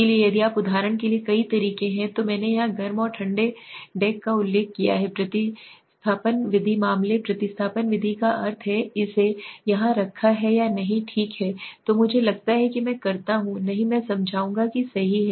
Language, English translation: Hindi, So if you there are several ways for example I have mentioned here hot and cold deck substitution method case substitution method mean substitution method regression substitution method I will explained to you but let me say today I have kept it here or not okay so I think I do not have I will explain that right